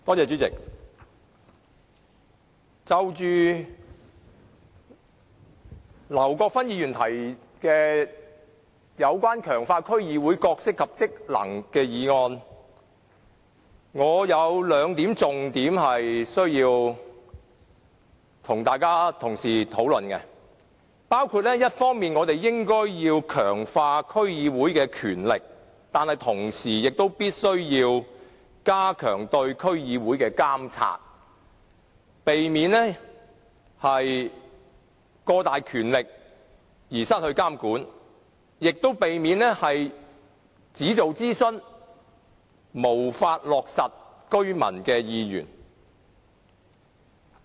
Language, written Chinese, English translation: Cantonese, 主席，就着劉國勳議員提出"強化區議會的角色及職能"的議案，我有兩個重點需要與各位同事討論，包括我們一方面應該強化區議會的權力，但同時必須加強對區議會的監察，以免它擁有過大權力而不受監管，亦避免它只進行諮詢，而無法落實居民的意願。, President regarding the motion on Strengthening the role and functions of District Councils proposed by Mr LAU kwok - fan there are two important points which I need to discuss with Honourable colleagues and they include on the one hand we should enhance the powers of District Councils DCs but on the other we must step up the monitoring of DCs to prevent them from holding excessive powers without being subject to regulation and preventing them from merely conducting consultations without fulfilling the residents wishes